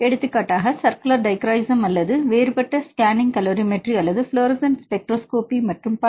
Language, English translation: Tamil, For example circular dichroism or differential scanning calorimetry or fluorescence spectroscopy and so on, right